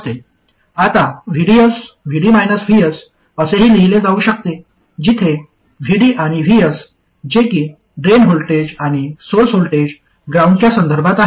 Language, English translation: Marathi, Now VDS can also be written as VD minus VS, where VD and VS are the drain voltage and the source voltage with respect to some ground